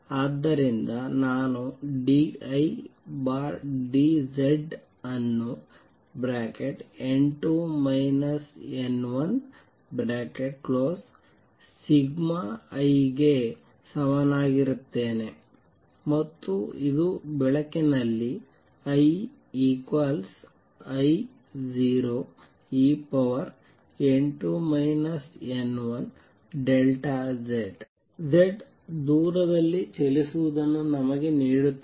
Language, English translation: Kannada, So, I have d I over d Z is equal to n 2 minus n 1 sigma I and this gives me that I is equal to I 0 e raise to n 2 minus n 1 sigma Z at the light travels distance Z